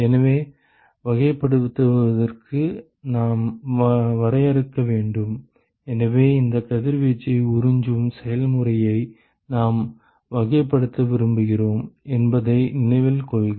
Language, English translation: Tamil, So, in order to characterize we need to define, so note that we want to characterize this process of absorption of radiation